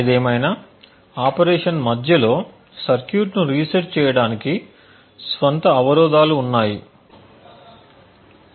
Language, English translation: Telugu, However, resetting the circuit in the middle of its operation has its own hurdles